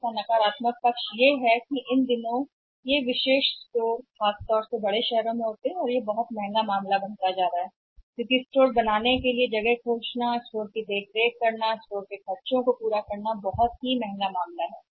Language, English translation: Hindi, The negative part of it is that having the exclusive stores these days especially in the big cities or towns is becoming a very, very costly affair because finding the place maintaining the store paying for the overhead store overhead is very, very expensive affair